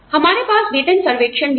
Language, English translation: Hindi, We also have pay surveys